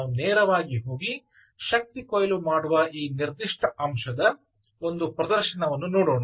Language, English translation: Kannada, let us go directly and see a small demonstration of this particular aspect of energy harvesting